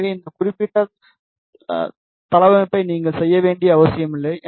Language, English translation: Tamil, So, it is not necessary for you to make this particular layout